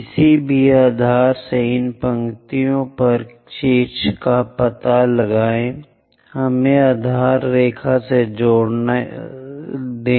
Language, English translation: Hindi, Locate apex on these lines from any base let us join the base line